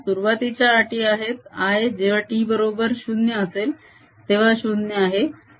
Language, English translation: Marathi, the initial conditions are: i t equal to zero is equal to zero